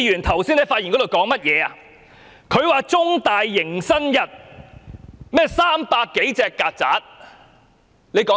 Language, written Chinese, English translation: Cantonese, 他說道，中大迎新日有300多隻曱甴。, He said that some 300 cockroaches attended CUHKs orientation day for new students